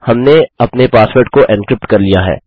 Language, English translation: Hindi, We have encrypted our password